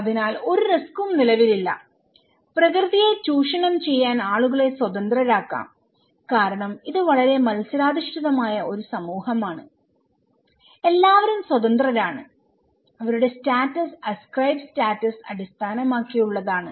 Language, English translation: Malayalam, So, there is no risk exist, people can be left free to exploit nature, okay because this is a very competitive society okay, everybody is free and their status is based on ascribe status